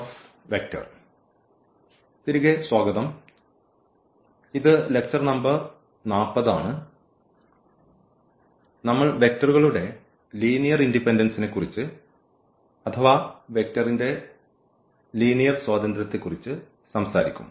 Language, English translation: Malayalam, So, welcome back and this is lecture number 40, and we will be talking about the Linear Independence of Vectors